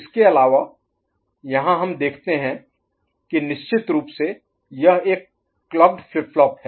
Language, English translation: Hindi, Further, here we see that of course this is a clock flip flop, right